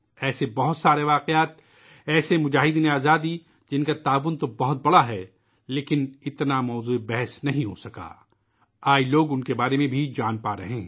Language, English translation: Urdu, There are many such incidents, such freedom fighters whose contribution have been huge, but had not been adequately discussed…today, people are able to know about them